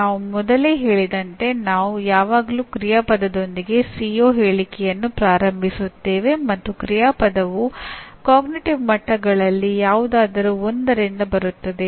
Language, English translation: Kannada, As we stated earlier, we always start a CO statement with an action verb and an action verb it comes from one of the cognitive levels